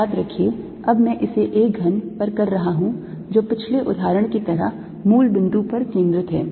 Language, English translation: Hindi, remember now i am doing it over a cube which is centred at the origin, like the previous example